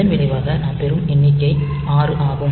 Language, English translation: Tamil, As a result, the number that we get is 6